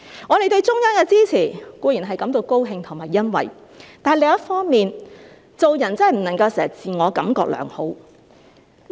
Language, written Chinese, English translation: Cantonese, 我們對中央的支持固然感到高興和欣慰，但另一方面，做人真的不能夠經常自我感覺良好。, We are surely pleased and gratified of the support given by the Central Government to the SAR but on the other hand we should not always be too complacent